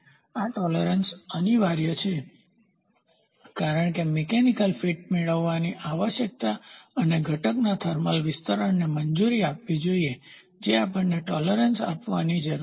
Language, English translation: Gujarati, Further, these tolerance are inevitable because the necessity of obtaining the required mechanical fit providing space for lubricant and allowing thermal expansion of the component we need to give the tolerance